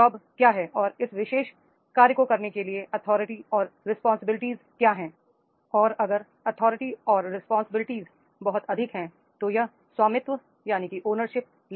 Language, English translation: Hindi, Authority and responsibilities what is the job this particular job is caring and if the authority and responsibilities is very high, so then it is carrying the ownership